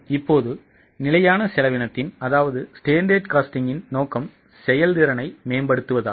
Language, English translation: Tamil, Now, the purpose of standard costing is to improve efficiency